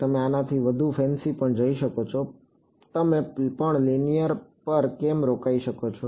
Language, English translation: Gujarati, You can even go fancier than this, why stop at linear you can also